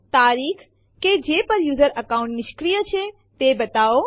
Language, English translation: Gujarati, Show the date on which the user account will be disabled